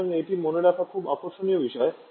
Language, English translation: Bengali, So, this is also very interesting point to remember